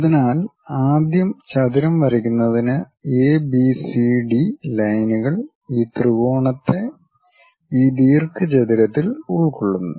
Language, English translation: Malayalam, So, first for the rectangle draw ABCD lines enclose this triangle in this rectangle